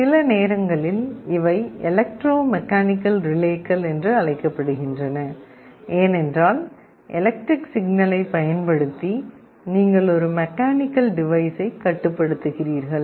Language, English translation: Tamil, Sometimes these are also called electromechanical relays, because you are controlling a mechanical device, using electrical signals